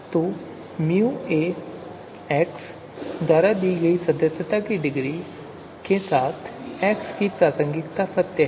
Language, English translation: Hindi, So the pertinence of x is true with degree of membership given by mu A x